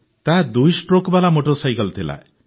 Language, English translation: Odia, It was a two stroke motorcycle